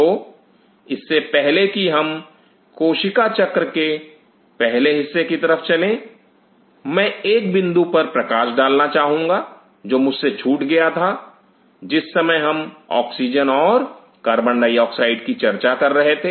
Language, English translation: Hindi, So, before I move on to the cell cycle part I wish to highlight one point which I missed out while I was talking to you about oxygen and carbon dioxide